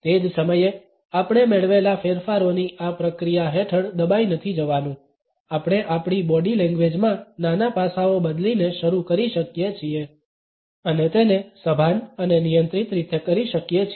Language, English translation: Gujarati, At the same time we should not be overwhelmed by this process of perceived changes we can start by changing a smaller aspects in our body language and can do it in a conscious and controlled manner